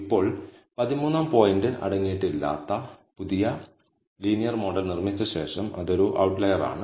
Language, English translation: Malayalam, Now, after building the new linear model, which does not contain the 13th point, that is an outlier